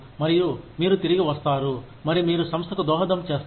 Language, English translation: Telugu, And, you will come back, and you will, contribute to the organization